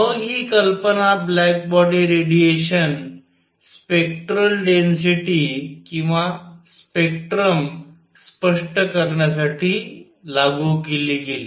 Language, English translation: Marathi, Then this idea was applied idea was applied to explain the spectral density or spectrum of black body radiation